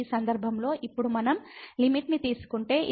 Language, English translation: Telugu, So, in this case now if we take the limit this is 1 and here 2 plus 2 so will become 4